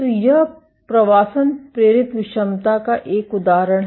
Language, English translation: Hindi, So, this is an example of migration induced heterogeneity